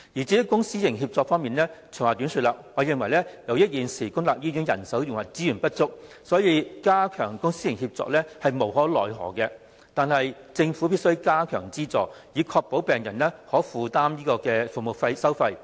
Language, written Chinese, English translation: Cantonese, 至於公私營協作方面，長話短說，我認為由於現時公立醫院人手和資源不足，所以加強公私營協作亦無可厚非，但政府必須增加資助，以確保病人可負擔服務收費。, As regards public - private partnership to cut a long story short I consider that given the present shortage of manpower and resources in public hospitals enhancement of public - private partnership is understandable but the Government must provide additional subsidies to ensure that the patients can afford the service fees